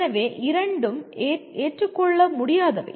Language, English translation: Tamil, So both are unacceptable